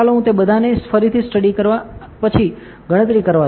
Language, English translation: Gujarati, Let me build it all go to study again and then compute